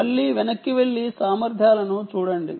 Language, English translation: Telugu, again, go back and look at the capabilities